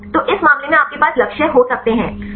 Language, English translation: Hindi, So, in this case you can have the targets